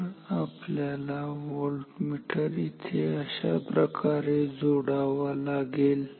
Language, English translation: Marathi, So, we have to then connect the voltmeter here ok